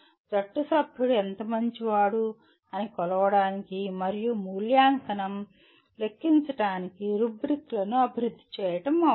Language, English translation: Telugu, It is necessary to develop rubrics to measure how good a team member one is and make the evaluation count